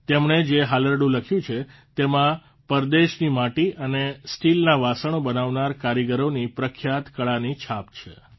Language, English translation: Gujarati, The lullaby he has written bears a reflection of the popular craft of the artisans who make clay and pot vessels locally